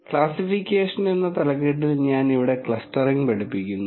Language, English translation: Malayalam, I am teaching clustering here under the heading of classification